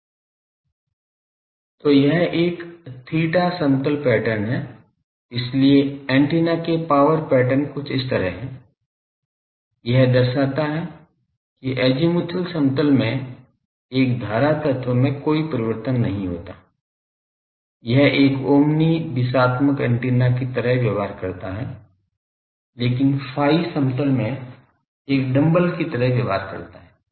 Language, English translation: Hindi, So, this is a theta plane pattern so, power patterns of antennas are like this, it shows that in the azimuthal plane, a current element does not have any variation, it is behaves like an Omni directional antenna, but in a phi plane it behaves like a dumbbell